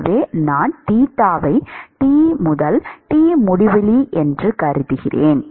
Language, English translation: Tamil, So, if I assume theta is T minus T infinity